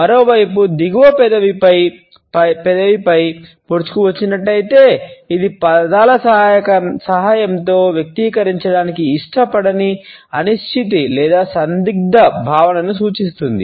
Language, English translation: Telugu, On the other hand, if the bottom lip has protruded over the top lip it indicates a feeling of uncertainty or ambivalence that one is unwilling to express with the help of words